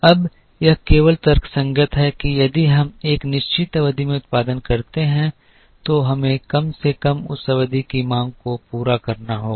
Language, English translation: Hindi, Now, it is only logical that if we produce in a certain period, then we will have to meet the demand of that period at least